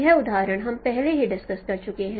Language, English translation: Hindi, This example we have already discussed